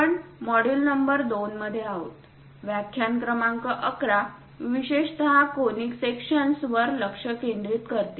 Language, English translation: Marathi, We are in module number 2, lecture number 11, especially focusing on Conic Sections